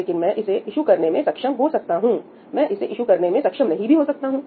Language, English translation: Hindi, But I may be able to issue it, I may not be able to issue it, right